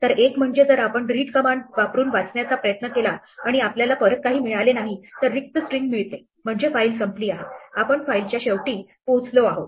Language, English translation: Marathi, So, one is if we try to read using the read command and we get nothing back, we get an empty string that means the file is over, we have reached end of file